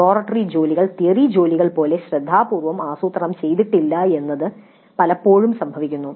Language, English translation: Malayalam, Now often it happens that the laboratory work is not planned as carefully as the theory work